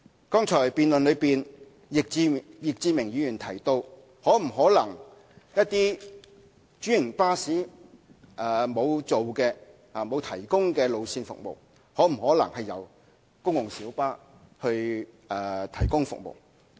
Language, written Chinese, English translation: Cantonese, 剛才易志明議員在辯論中提到，對於一些沒有專營巴士提供服務的路線，可否由專線小巴提供服務？, In his speech just now Mr Frankie YICK raised the question of whether GMBs can provide services for those routes which are not being served by franchised buses